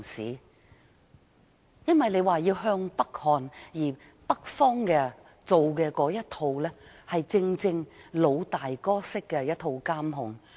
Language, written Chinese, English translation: Cantonese, 由於當局說要向北看，而北方的那一套正是"老大哥式"的監控。, We are now advised to look northward but the way of life in the North is monitored by the Big Brother